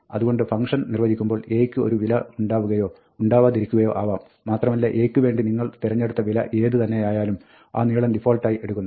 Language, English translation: Malayalam, So, when the function is defined, there will be, or may not be a value for A and whatever value you have chosen for A, if there is one, that length will be taken as a default